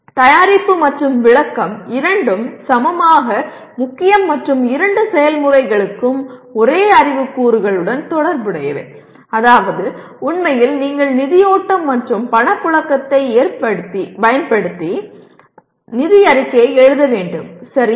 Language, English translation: Tamil, And preparation and explanation are equally important and both the processes are related to the same knowledge elements namely actually you should write financial statement using fund flow and cash flow, okay